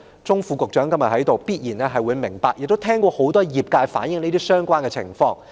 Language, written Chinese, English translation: Cantonese, 鍾副局長今天在席，我相信他一定明白，亦應聽過業界很多聲音反映相關情況。, Under Secretary Dr David CHUNG is present today . I believe he must understand it and should have heard many views from the sector on the relevant situation